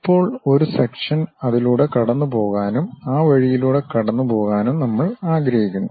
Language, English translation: Malayalam, Now, we would like to have a section passing through that and also passing through that in that way